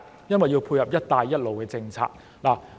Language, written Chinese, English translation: Cantonese, 因為要配合"一帶一路"政策。, It is because they need to complement the Belt and Road Initiative